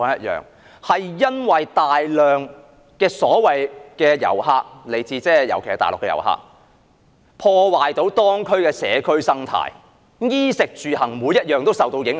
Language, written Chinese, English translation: Cantonese, 因為大量遊客，尤其來自大陸的遊客，破壞當區的社區生態，令居民衣食住行各方面都受到影響。, An influx of a large number of visitors particularly those from the Mainland have disrupted the communal ecology of local districts and affected the lives of the residents in areas of clothing food accommodation and transportation